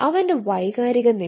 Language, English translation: Malayalam, what is the emotional status